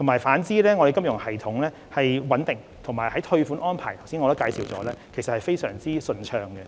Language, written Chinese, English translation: Cantonese, 反之，本港的金融系統穩定，退款安排亦如我剛才所述十分順暢。, Instead the financial system of Hong Kong has remained stable and the refund arrangements as I just said were very smooth